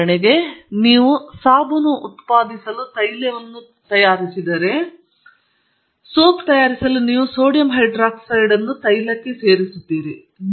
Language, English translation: Kannada, For example, if you are saponifying oil to produce soap, you are adding sodium hydroxide to oil to produce soap